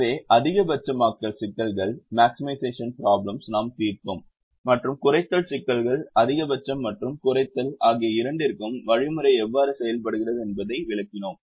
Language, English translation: Tamil, so we solve maximization problems and minimization problems, which explained how the algorithm works for both maximization and minimizations